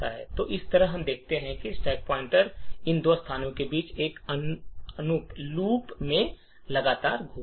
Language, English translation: Hindi, So, in this way we see that the stack pointer continuously keeps moving between these two locations in an infinite loop